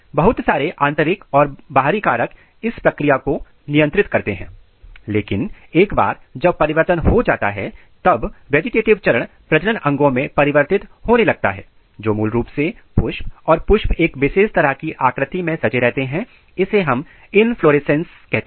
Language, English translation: Hindi, Lot of internal and external factor regulates this process, but once the decision is taken place the vegetative phase transit and it start making the reproductive organs which are basically flowers and flowers are typically arranged in form of inflorescence